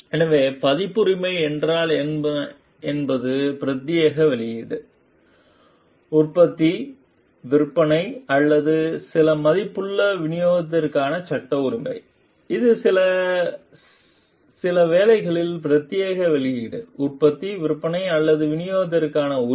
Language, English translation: Tamil, So, what is copyright is copyright is the legal right to exclusive publication, production, sale or distribution of some worth, it is the right for exclusive publication, production, sale or distribution of some work